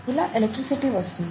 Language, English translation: Telugu, And that's how you get electricity